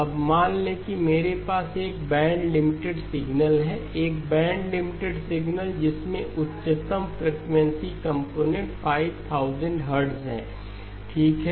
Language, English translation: Hindi, Now supposing I have a band limited signal, a band limited signal with the highest frequency component as 5000 hertz okay